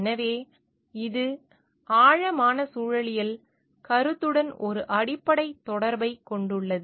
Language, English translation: Tamil, So, this has a basic connection to the concept of deep ecology